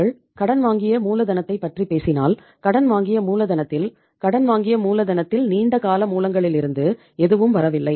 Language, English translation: Tamil, And if you talk about the borrowed capital, borrowed capital in the borrowed capital nothing is coming from the long term sources